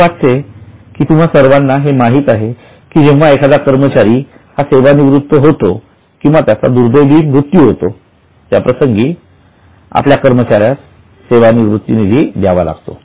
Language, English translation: Marathi, I think most of you know that whenever an employee retires or in case of unfortunate death of employee, we have to pay gratuity to the employee